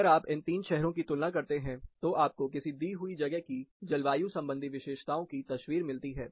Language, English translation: Hindi, So, if you compare the 3 cities, this gives a quick picture of how the climatic characteristics are, in a given location